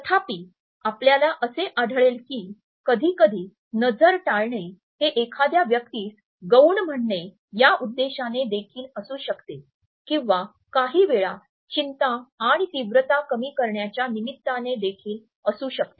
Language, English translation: Marathi, However, you would find that sometimes gaze avoidance may also be associated with the intention of coming across as a more subordinate person or sometimes it may be in excuse to reduce the anxiety and intensity so, as to defuse a situation